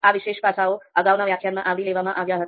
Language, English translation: Gujarati, So those particular aspect we talked about in the previous lecture